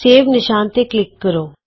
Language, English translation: Punjabi, Click the Save icon